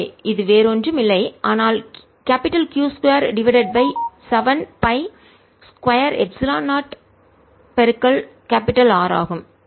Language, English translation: Tamil, so final answer is q square over seven pi epsilon zero r